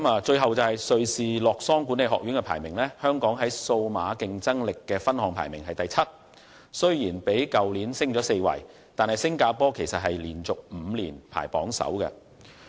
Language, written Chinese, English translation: Cantonese, 最後，根據瑞士洛桑管理學院公布的排名，香港在數碼競爭力的分項排名第七，雖然已較去年爬升4位，但新加坡卻已連續5年排名榜首。, Finally in the ranking announced by the International Institute for Management Development in Lausanne Switzerland Hong Kong ranked seventh in digital competitiveness . While we have climbed four places compared to last year Singapore has topped the list for five consecutive years